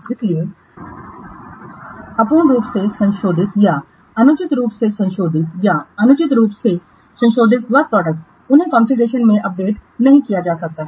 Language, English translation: Hindi, Therefore, incompletely modified or improperly modified or inaccurately modified work products, they cannot be updated in the configuration